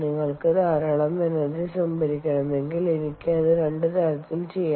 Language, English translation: Malayalam, if you want to store a lot of energy, i can do it in two ways